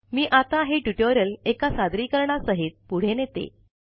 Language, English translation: Marathi, Let me now continue the tutorial with a presentation